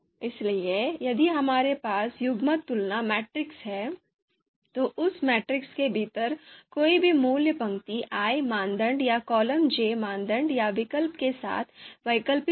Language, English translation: Hindi, So we have the if we have the pairwise comparison matrix, so any value within that matrix, it will be comparison of you know row i criterion or alternative with the column j you know criterion or alternative